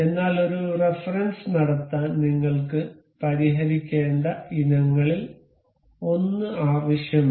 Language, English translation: Malayalam, But to make a reference we need one of the items to be fixed